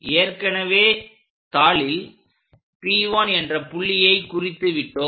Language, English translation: Tamil, Already we know this point P1 locate it on the sheet